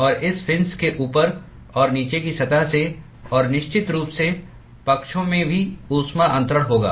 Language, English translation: Hindi, And there would be heat transfer from the top and the bottom surface of this fin and of course in the sides also